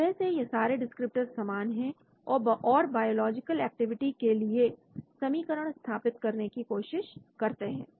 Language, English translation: Hindi, Basically, these are all descriptors like and then try to develop an equation for biological activity